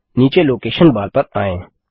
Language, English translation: Hindi, Coming down to the Location Bar